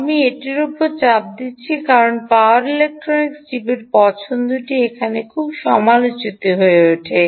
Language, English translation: Bengali, i am stressing this because your choice of power electronic chip become very critical here